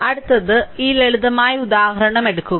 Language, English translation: Malayalam, So, next take this simple example